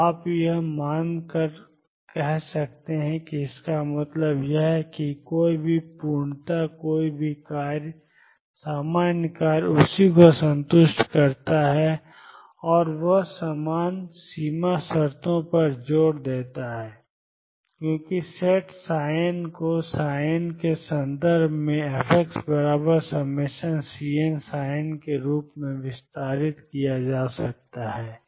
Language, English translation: Hindi, So, you can say assuming it, what it means is that any completeness any function general function satisfying the same and that is emphasize same boundary conditions as the set psi n can be expanded in terms of psi n as f x equals summation C n psi n x